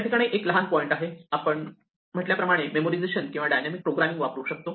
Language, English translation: Marathi, So, one small point, so we have said that we can use Memoization or we can use dynamic programming